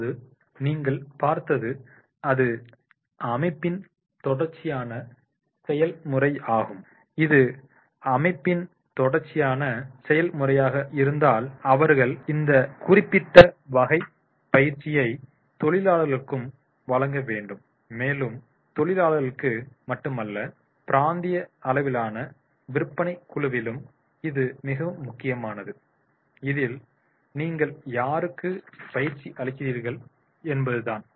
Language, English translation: Tamil, Now you see that is the as I mentioned it is a continuous process of the organization and if it is a continuous process of the organization they are supposed to give this particular type of the training to the workmen also and not only to the workmen but to the staff and then definitely at the regional level sales sales area also